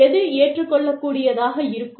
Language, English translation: Tamil, And, what will be acceptable